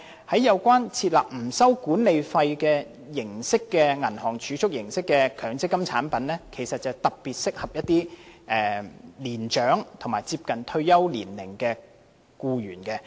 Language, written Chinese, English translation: Cantonese, 此外，設立不收取管理費的銀行儲蓄形式強積金產品其實特別適合一些年長和接近退休年齡的僱員。, Moreover MPF products resembling bank deposits that charge no management fees are particularly suitable for some elderly employees as well as employees close to retirement age